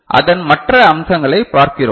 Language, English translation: Tamil, So, so we look at other aspect of it